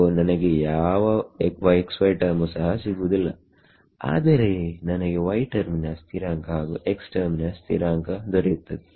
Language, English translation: Kannada, So, I will not get a x; x y term but I will get a constant term x into y